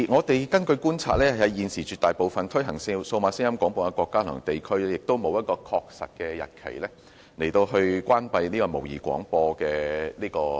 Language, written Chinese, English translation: Cantonese, 根據觀察，現時絕大多數推行數碼廣播的國家及地區均沒有承諾在某個確實日期終止模擬聲音廣播服務。, According to our observation the overwhelming majority of countries and regions providing DAB services have not set any definite date for switching off analogue sound broadcasting services yet